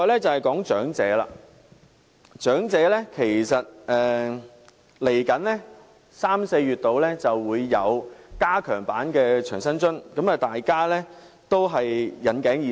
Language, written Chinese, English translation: Cantonese, 至於長者方面，其實在三四月左右便會推出加強版的長者生活津貼，大家也引頸以待。, As for the elderly an enhanced Old Age Living Allowance will actually be rolled out around March or April and people are on the tiptoe of expectation